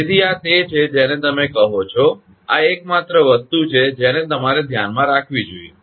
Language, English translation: Gujarati, So, this is that what you call, this is the only thing you have to keep in mind